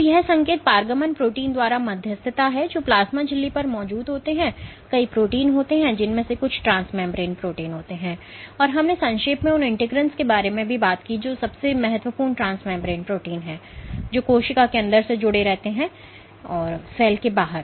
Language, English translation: Hindi, So, this signal transduction is mediated by proteins which are present on the plasma membrane, there are multiple proteins some of which are transmembrane proteins and we briefly raised talked about integrins which is of the most important transmembrane proteins, which link the inside of the cell to the outside of the cell